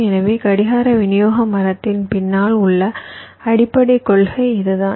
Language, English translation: Tamil, so this is the basic principle behind clock distribution tree